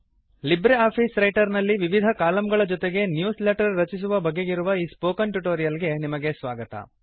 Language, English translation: Kannada, Welcome to the Spoken tutorial on LibreOffice Writer Creating Newsletters with Multiple Columns